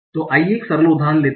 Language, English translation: Hindi, So let's take one simple example